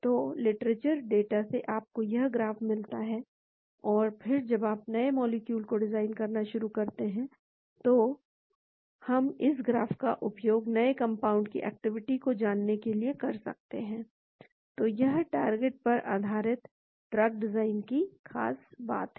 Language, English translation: Hindi, So, from the literature data you get this graph and then when you start designing new molecules, we can use this graph for predicting the activity of new compounds, so that is the beauty of target based drug design